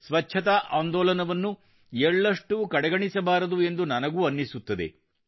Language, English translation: Kannada, I also feel that we should not let the cleanliness campaign diminish even at the slightest